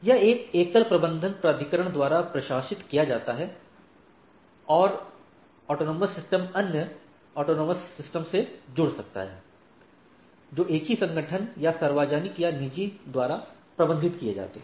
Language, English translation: Hindi, It is administered by a single management authority and AS can connect to other autonomous systems, managed by the same organization or public or private and so and so forth right